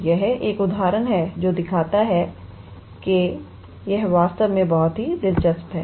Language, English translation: Hindi, So, this is one example which shows that and it is very interesting actually